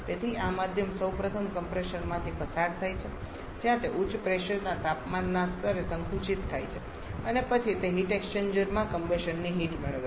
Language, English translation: Gujarati, So, this medium is first passed through a compressor where that gets compressed to higher pressure temperature level then it receives the heat of combustion in the heat exchanger